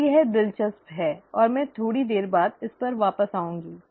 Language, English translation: Hindi, Now that is interesting, and I will come back to this a little later